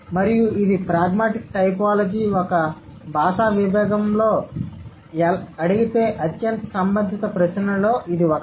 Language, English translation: Telugu, So, and this is one of the most pertinent questions that pragmatic typology asks, as a linguistic discipline it asks